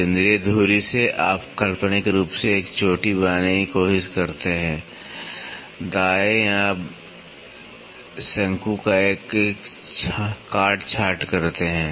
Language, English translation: Hindi, From the central axis to you try to imaginarily make a crest, right or make a truncation of the cone